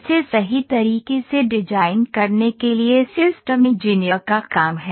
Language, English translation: Hindi, So, this is the work of a systems engineer to design it in a proper way